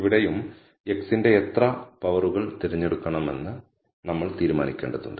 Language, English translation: Malayalam, Here again, we have to decide how many powers of x we have to choose